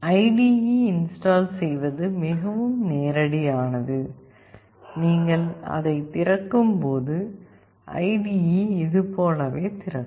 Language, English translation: Tamil, When you have already done with installing the IDE which is fairly very straightforward, then when you open it the IDE will open as like this